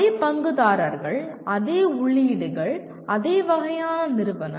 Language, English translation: Tamil, Same stakeholders, same inputs, same kind of institute